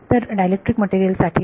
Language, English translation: Marathi, So, for dielectric material